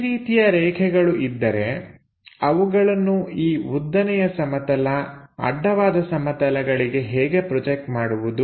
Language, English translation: Kannada, If such kind of lines are there how to project them onto this vertical plane, horizontal plane, get the information